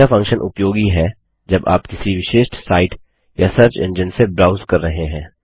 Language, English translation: Hindi, This function is useful when you are browsing from a particular site or a search engine